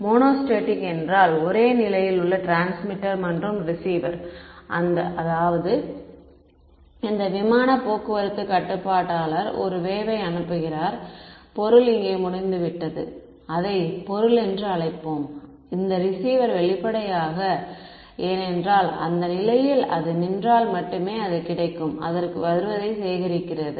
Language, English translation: Tamil, So, monostatic means transmitter and receiver same position; that means, this air traffic controller sends a wave and the object is over here let us just call it object, this receiver the; obviously, because its standing at that position it only gets only collects what is coming back to it